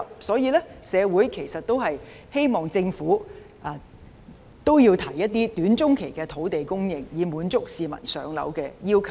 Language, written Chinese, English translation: Cantonese, 所以，社會其實希望政府提出一些短中期的土地供應，以滿足市民上樓的需求。, Therefore the community actually hopes that the Government will come up with some short - and medium - term land supply options to meet their housing needs